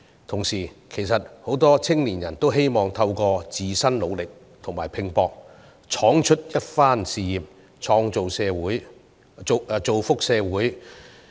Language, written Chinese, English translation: Cantonese, 同時，很多青年人希望透過自身努力和拼搏闖出一番事業，造福社會。, At the same time many young people want to build a successful career by their own efforts and contribute to society